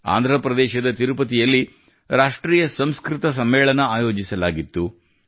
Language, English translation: Kannada, At the same time, 'National Sanskrit Conference' was organized in Tirupati, Andhra Pradesh